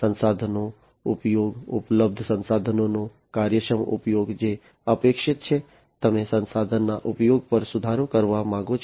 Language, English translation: Gujarati, Resource utilization, efficient utilization of available resources that is what is expected, you want to improve upon the resource utilization